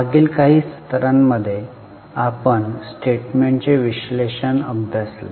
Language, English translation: Marathi, In last few sessions we are studying the analysis of statements